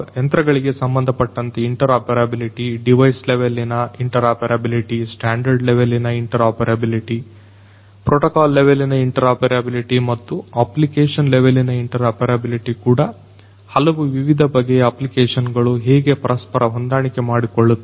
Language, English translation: Kannada, Interoperability in terms of the devices, device level interoperability, standard level interoperability, protocol level interoperability and also application level interoperability different diverse varied applications how they can hand shake and talk to each other